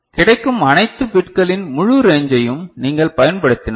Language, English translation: Tamil, If you use the full range of all the bits that is available ok